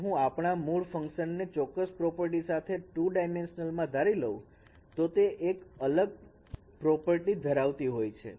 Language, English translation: Gujarati, If I consider our basis function in two dimension has a certain particular property which is a separability property